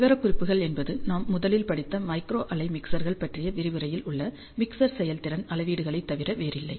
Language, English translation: Tamil, The specifications are nothing but the mixer performance matrix that we studied in the first lecture on micro wave mixers